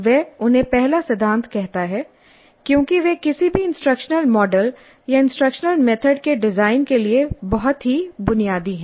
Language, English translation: Hindi, He calls them as first principles because they are very basic to the design of any instructional model or instructional method